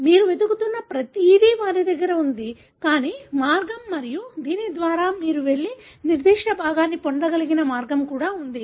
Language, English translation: Telugu, They have everything that you look for, but there is also way, a way by which you will be able to go and get the particular fragment